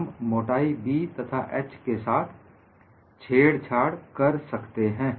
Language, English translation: Hindi, We can play with thickness B as well as h